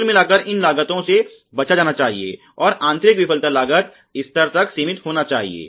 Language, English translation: Hindi, By and large should be avoided and should be limited to the internal failure costs level